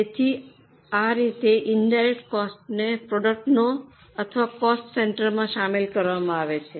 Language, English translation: Gujarati, So, this is how indirect costs are charged to products or to cost centers